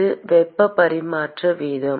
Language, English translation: Tamil, It is rate of heat transfer